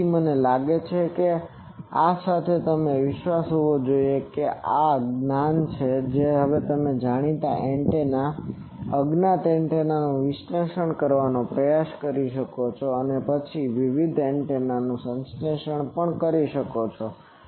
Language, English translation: Gujarati, So, I think with that you should be confident that with this knowledge, you can now try to have analyzed various antennas known antennas unknown antennas then and then also you can synthesize various antennas